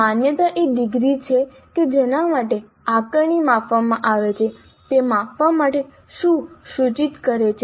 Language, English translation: Gujarati, Validity is the degree to which the assessment measures what it purports to measure